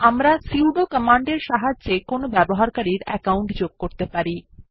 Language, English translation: Bengali, We can add any user account with the help of sudo command